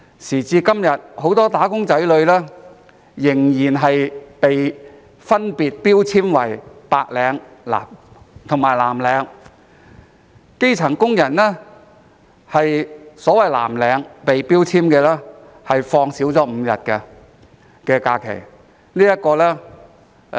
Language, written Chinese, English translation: Cantonese, 時至今日，很多"打工仔女"仍分別被標籤為白領及藍領，基層工人被標籤為所謂藍領，享有的假期少5日。, Today many wage earners are still labelled as white - collar workers and blue - collar workers . Grass - roots workers are labelled as so - called blue - collar workers and their holidays are five days fewer